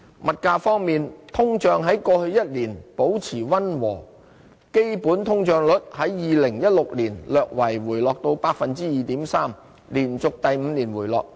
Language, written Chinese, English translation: Cantonese, 物價方面，通脹在過去一年保持溫和，基本通脹率在2016年略為回落至 2.3%， 連續第五年回落。, In terms of prices inflation was modest last year . Underlying inflation slightly eased to 2.3 % in 2016 trending down for five consecutive years